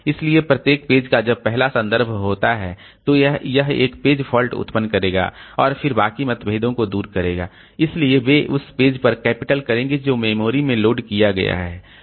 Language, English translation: Hindi, So, every page when the first reference is made, so it will generate a page fault and then rest of the references, so they will capitalize on the page that has been loaded into memory, so there will be no page fault for them